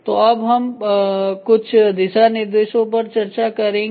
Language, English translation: Hindi, So, are some of the guidelines we will start discussing